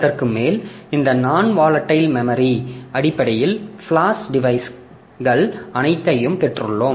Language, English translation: Tamil, On top of that we have got this non volatile memories, basically the flash devices and all